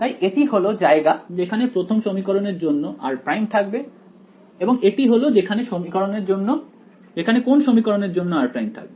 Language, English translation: Bengali, So, this is where r prime should be right for equation 1 and this is where r prime should be for equation